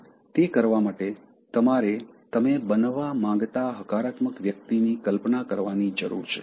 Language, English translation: Gujarati, To do that, you need to visualize, becoming a positive person that you want to be